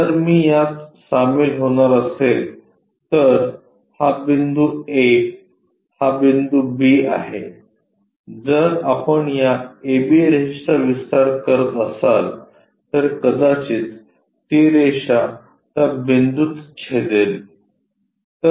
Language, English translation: Marathi, So, if I am going to join this, this is the point A this is the point B if we are extending this A B line perhaps it might intersect at that point